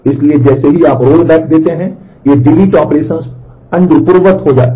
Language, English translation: Hindi, So, as you give rollback these deletion operations get undone